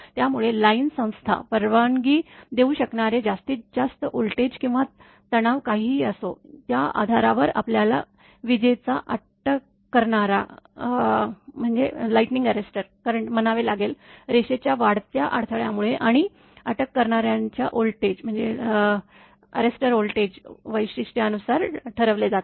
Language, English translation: Marathi, So, whatever is the maximum voltage or stress that line institution can allow, based on that only arrester your we are have to called a lightning arrester current is determined right, by the surge impedance of the line and by the voltage characteristic of the arrester